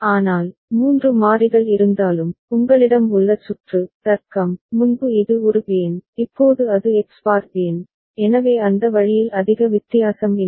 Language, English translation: Tamil, But, even if 3 variables are there, the circuit that you have is, the logic is, earlier it was An Bn, now it is X bar Bn, so that way it is not making too much difference ok